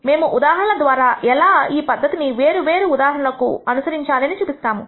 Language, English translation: Telugu, We will show through examples how these procedure is carried out for different cases